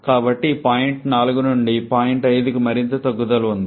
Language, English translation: Telugu, So, there is a further drop from this point 4 to point 5